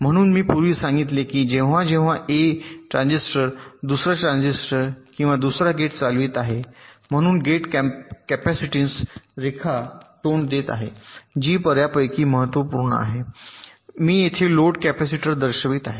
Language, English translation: Marathi, so i told earlier that whenever a transistors is driving another transistor or another gate, so the gate capacitance that the this line is facing, that is quite significant and it is that load capacitors i am showing here